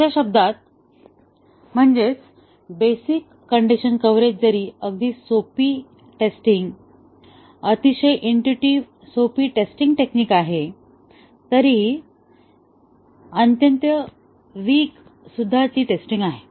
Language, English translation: Marathi, In other words, the basic condition coverage even though a very simple testing, very intuitively simple testing technique, but is a very weak testing